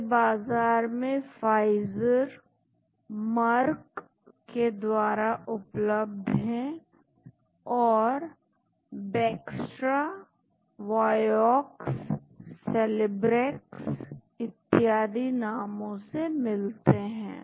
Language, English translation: Hindi, They are marketed by Pfizer, Merck so these are called Bextra, Vioxx, Celebrex and so on